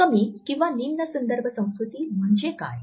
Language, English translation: Marathi, What is the low context culture